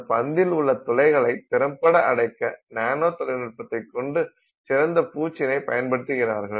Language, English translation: Tamil, So, when you have some special coatings that they have made using nanotechnology, they are able to close the pores in the ball even more effectively